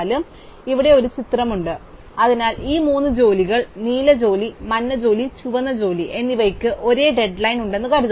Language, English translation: Malayalam, So, here is a picture, so suppose these three jobs, the blue job, in the yellow job, the red job all have the same dead line